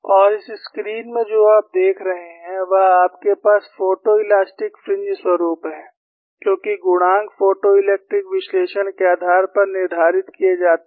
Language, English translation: Hindi, And what you see in this screen is, you have the photo elastic fringe pattern, because the coefficients are determined based on the photo elastic analysis